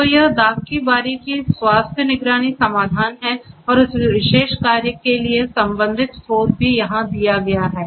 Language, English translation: Hindi, So, this is the vineyard health monitoring solution and the corresponding source for this particular work is also given over here